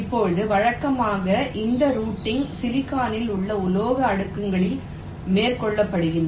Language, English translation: Tamil, now, usually this routing is carried out on the metal layers in silicon